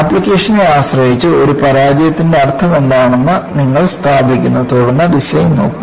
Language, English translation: Malayalam, Depending on the application, you establish what the meaning of a failure is, then go on look at the design